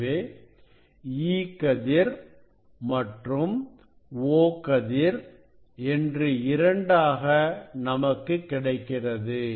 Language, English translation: Tamil, one is called the e ray, and another is called the o ray